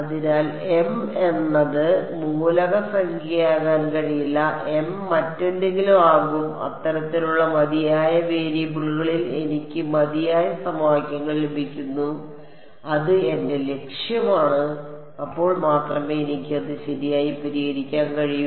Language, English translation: Malayalam, So, m cannot be element number, m will be something else such that I get enough equations in enough variables that is my objective only then I can solve it right